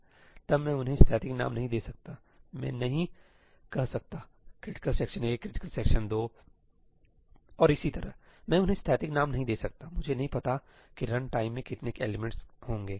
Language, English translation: Hindi, then I cannot give them static names; I cannot say critical section 1, critical section 2 and so on; I cannot give them static names; I do not know how many elements there will be at run time